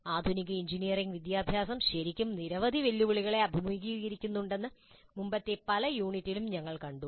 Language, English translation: Malayalam, In the early unit also we saw that the modern engineering education is really facing a large number of challenges